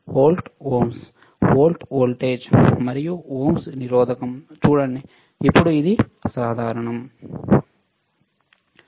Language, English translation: Telugu, Volt ohms right, see volt voltage and ohms resistance right, then this is common